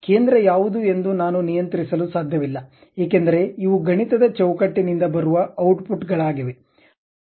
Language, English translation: Kannada, I cannot even control what should be the center, because these are the outputs supposed to come out from that mathematical framework